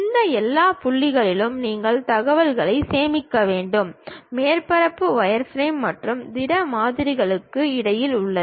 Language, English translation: Tamil, You have to store information at all these points, surface is in between wireframe and solid models